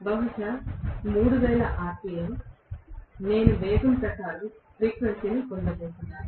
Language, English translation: Telugu, So, maybe 3000 rpm, maybe whatever is the speed according to which I am going to get the frequency